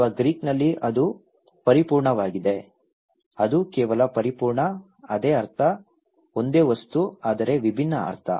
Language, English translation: Kannada, Or in Greece that is just perfect; that is just perfect, the same meaning, a same object but different meaning